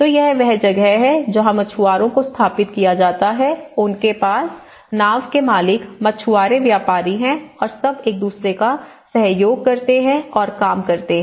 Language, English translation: Hindi, So, this is where in the fishermen set up, you have the boat owners, you have the fishermen, you have the traders and everything used to cooperate with each other and they use to work